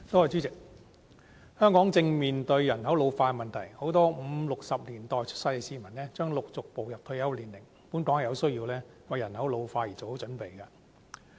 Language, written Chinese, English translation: Cantonese, 主席，香港正面對人口老化的問題，很多五六十年代出生的市民將陸續步入退休年齡，本港有需要為人口老化做好準備。, President Hong Kong is facing the problem of an ageing population . People born in the 1950s and 1960s will be approaching their retirement ages . It is thus necessary for us to properly prepare for population ageing